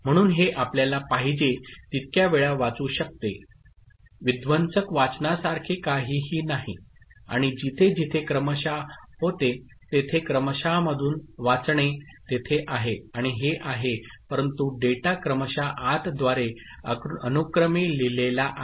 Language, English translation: Marathi, So, it can you can read it as many times as you want there is nothing like destructive reading and all where serial out reading through serial out is there and these, but the data is written serially through serial input ok